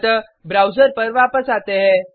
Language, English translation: Hindi, So, switch back to the browser